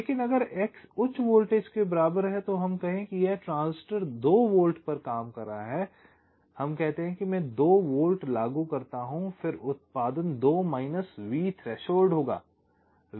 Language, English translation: Hindi, but if x equals to high voltage, lets see, lets say this transistor is working at two volts, lets say i apply two volts, then the output will be two minus v threshold